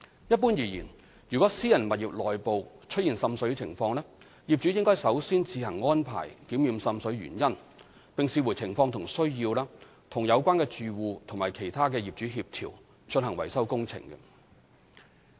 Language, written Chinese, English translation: Cantonese, 一般而言，如果私人物業內部出現滲水情況，業主應首先自行安排檢驗滲水原因，並視乎情況和需要，與有關的住戶及其他業主協調，進行維修工程。, In general if water seepage occurs in private buildings the owners should first arrange their own investigation of the cause of seepage and as appropriate coordinate with the occupiers and other owners concerned for repair works